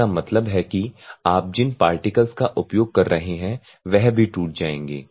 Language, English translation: Hindi, That means that the particles that you are using this will also break ok